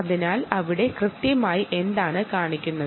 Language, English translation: Malayalam, so what exactly shows up there